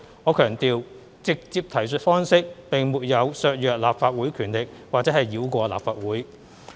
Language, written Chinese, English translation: Cantonese, 我強調，"直接提述方式"並沒有削弱立法會權力或繞過立法會。, I emphasize here that the direct reference approach does not undermine the powers of the Legislative Council nor does it circumvent the legislature